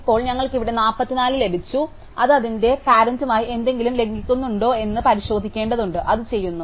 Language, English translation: Malayalam, So, now we look and we have got 44 here and now we have to check whether it violates anything with its parent, and it does